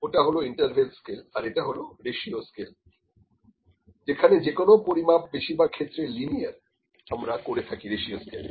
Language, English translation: Bengali, So, that was interval scales, this is ratio scale whatever measurements, the linear measurements we are doing are mostly in ratio scale